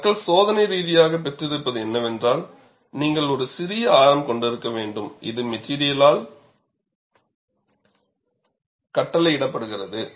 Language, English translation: Tamil, But what people have experimentally obtained is, you need to have a smaller radius which is dictated by the material